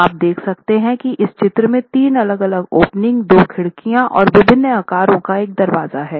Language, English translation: Hindi, So, you can see that in this figure there are three different openings, there are two windows and one door opening of different sizes, each of them is of a different size